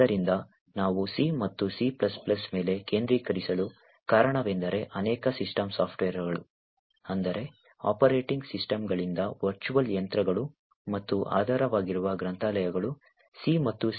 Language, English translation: Kannada, So, why we focus on C and C++ is due to the fact that many systems software such as starting from operating systems to virtual machines and lot of the underlying libraries are written in C and C++